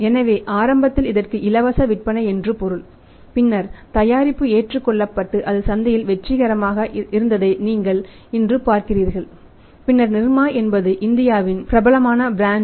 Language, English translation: Tamil, So it means initially it is free sale and then when the product was accepted and it was successful in the market now you see today then NIRMA is where the NIRMA is a popular brand name of India